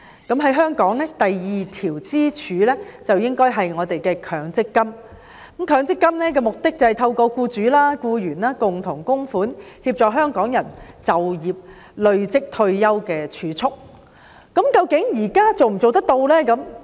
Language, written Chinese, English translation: Cantonese, 在香港，第二條支柱應該是指強積金，其目的是透過僱主及僱員共同供款，協助香港人累積儲蓄供退休之用。, In Hong Kong the second pillar should mean MPF which aims at helping Hong Kong people accumulate savings for their retirement through joint contributions from employers and employees